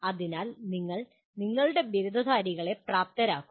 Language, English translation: Malayalam, So you are making the your graduates capable